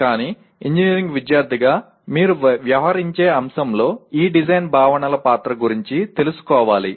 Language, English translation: Telugu, But as a student of engineering one should be aware of the role of these design concepts in the subject that you are dealing with